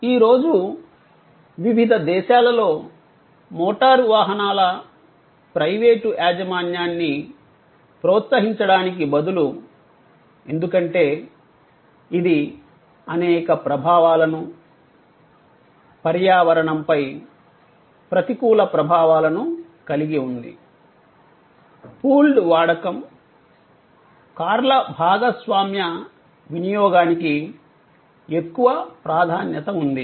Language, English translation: Telugu, In various countries today instead of encouraging private ownership of motor vehicles, which has number of impacts, adverse impacts on the environment, there is an increasing emphasize on pooled usage, shared usage of cars